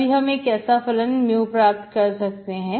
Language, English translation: Hindi, Then only I can get such a mu, okay